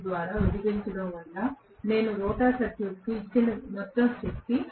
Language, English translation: Telugu, 02 is the total power that I have given the rotor circuit